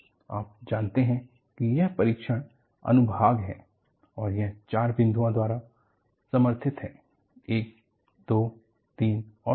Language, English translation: Hindi, You know, this is the test section and this is supported by four points; one, two, three and four